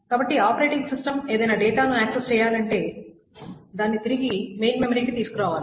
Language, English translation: Telugu, So the operating system must bring the data back to the main memory for any access